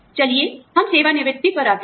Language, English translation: Hindi, Let us come to retirement